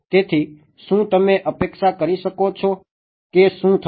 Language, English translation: Gujarati, So, can you anticipate what will happen